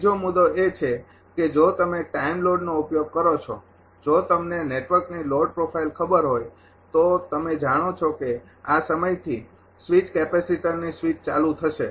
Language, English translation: Gujarati, Another point is the if you use the time load if you know the load profile of the network then you know from this time that switch capacitors will be switched on